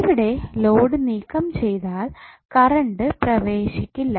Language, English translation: Malayalam, So if you remove these the load, no current will be flowing